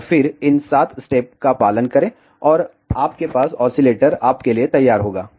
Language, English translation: Hindi, And then follow these seven steps, and you will have oscillator ready for you